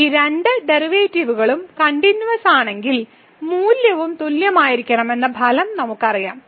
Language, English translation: Malayalam, And we know the result that if these 2 derivatives are continuous then the value should be also equal